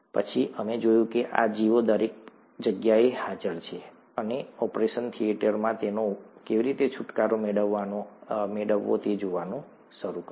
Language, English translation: Gujarati, Then we saw that these organisms are present everywhere, and started looking at how to get rid of them in an operation theatre